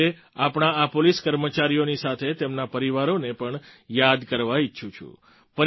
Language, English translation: Gujarati, Today I would like to remember these policemen along with their families